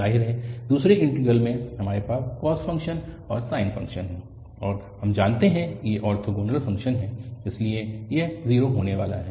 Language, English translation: Hindi, Clearly, in the second integral, we have the cos function and the sine function and we know that these are orthogonal functions, so this is going to be 0